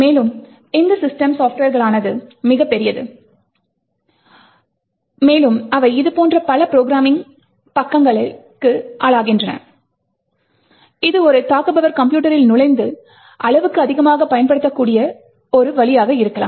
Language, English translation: Tamil, Further, these systems software are quite large, and they are susceptible to a lot of such programming bugs which could be a way that an attacker could enter and exploit the system